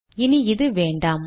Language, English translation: Tamil, We no longer need this